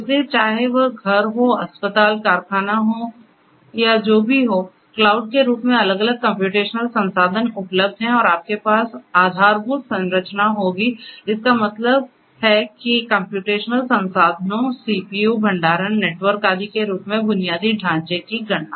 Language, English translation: Hindi, So, you know whether it is home, hospitals factories or whatever there are different computational resources available in the form of cloud and you will have infrastructure; that means computing infrastructure in the form of computational resources CPU, storage, network and so on